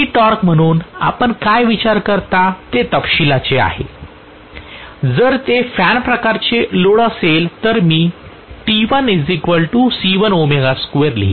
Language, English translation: Marathi, What you consider as the low torque is a matter of detail, if it is a fan type load I will write T l as some C1 times omega square